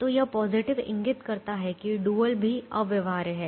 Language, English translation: Hindi, so this positive indicates that the dual is also infeasible